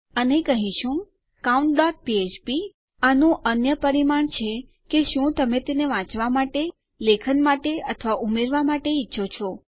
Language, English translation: Gujarati, And well say count.php and another parameter for this is whether you want it for writing, for reading or to append that, for example